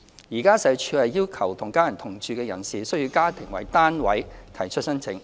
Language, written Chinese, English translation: Cantonese, 現時，社署要求與家人同住的人士須以家庭為單位提出申請。, At present SWD requires that applicants living with their families should apply for CSSA on a household basis